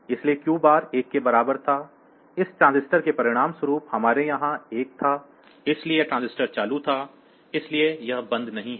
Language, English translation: Hindi, So, Q bar was equal to 1; as a result this transistor we had a 1 here; so, this transistor was on, so it is not off; it was on